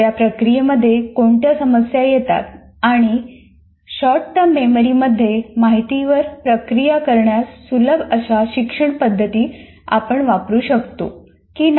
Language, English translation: Marathi, In that processing, what are the issues that come and whether we can use instructional methods that facilitate the what we call processing the information in the short term memory